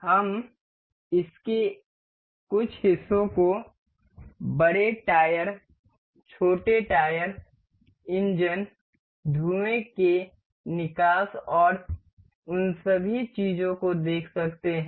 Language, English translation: Hindi, We can see these parts of this the larger tires, the smaller tire, the engines, the smoke exhaust and all those things